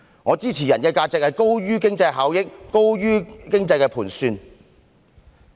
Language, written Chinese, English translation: Cantonese, 我支持人的價值高於經濟效益和經濟盤算。, I am a supporter of the belief that the value of a person surpasses economic benefits and economic considerations